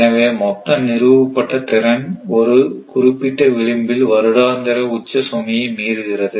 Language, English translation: Tamil, So, that the total installed capacity exceeds the yearly peak load by a certain margin right